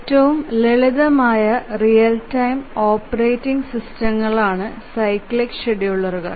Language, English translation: Malayalam, The cyclic executives are the simplest real time operating systems